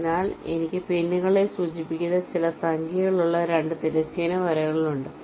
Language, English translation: Malayalam, so i have two horizontal lines with some numbers, which indicates pins